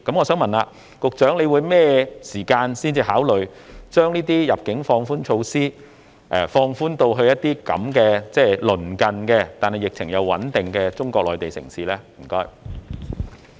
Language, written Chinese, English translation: Cantonese, 請問局長究竟何時才會考慮將入境措施放寬至這些鄰近而疫情穩定的中國內地城市呢？, May I ask the Secretary when the Government will relax its inbound quarantine policy on these neighbouring cities with a stable epidemic situation?